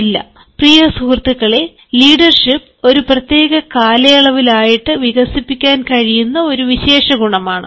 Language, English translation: Malayalam, no, dear friends, leadership is a trait that can be developed over a period of time